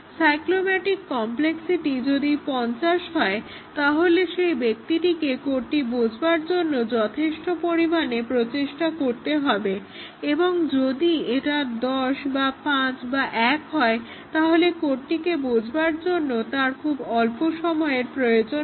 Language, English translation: Bengali, If the cyclomatic complexity is 50, he would have to spend substantial effort in understanding the code and if it is 10 or 5 or 1, he would have to spend very little time in understanding the code